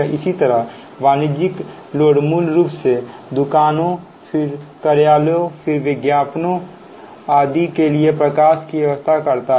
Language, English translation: Hindi, similarly, commercial loads, basically lighting for shops, then offices, then advertisements, ah, etc